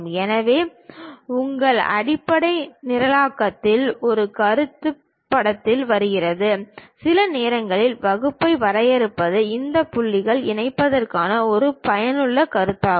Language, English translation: Tamil, So, there your basic programming a concept comes into picture; sometimes defining class is also useful concept for this connecting these points